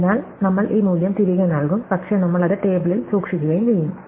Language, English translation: Malayalam, So, we will return this value, but we will also store it in the table